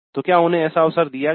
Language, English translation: Hindi, So is there such an opportunity given